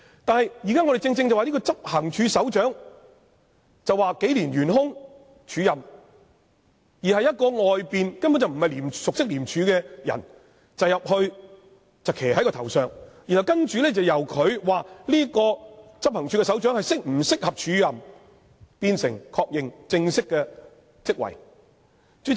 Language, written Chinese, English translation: Cantonese, 但是，現時的情況是，執行處首長職位已安排署任數年，而由一名從外面招聘、不熟悉廉署的人入內領導，決定該名署任執行處首長是否適合，再確認正式的職位。, However under the present situation while an acting arrangement has been in place for this position of Head of Operations for a few years the Commissioner who was externally recruited and was not familiar with the colleagues of ICAC has to lead the department and decide whether that Acting Head of Operations is the appropriate candidate and then confirm whether he can formally assume that position